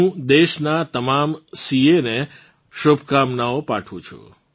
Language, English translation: Gujarati, I congratulate all the CAs of the country in advance